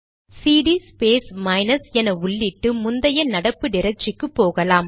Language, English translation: Tamil, Now, you may type cd space minus at the prompt to go back to the previous working directory